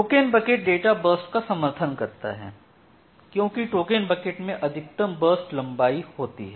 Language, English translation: Hindi, Here in case of token bucket it is supporting that in case of token bucket there is a maximum burst length